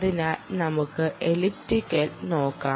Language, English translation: Malayalam, so lets look at elliptic